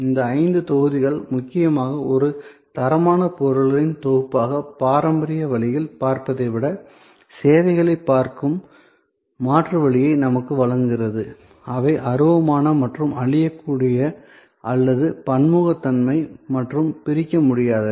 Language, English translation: Tamil, So, these five blocks mainly provide us an alternative way of looking at services rather than looking at it in a traditional way as a set of inferior class of goods, which are intangible and perishable and heterogeneity and inseparable, etc